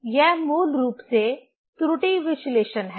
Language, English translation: Hindi, That is basically error analysis